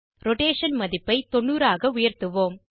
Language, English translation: Tamil, Let us increase the Rotation value to 90